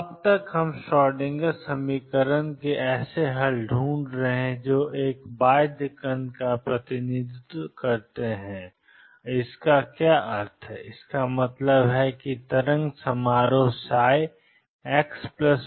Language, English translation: Hindi, So far we have been looking for solutions of the Schrodinger equation that are that represent a bound particle and what does that mean; that means, the wave function psi x going to plus or minus infinity goes to 0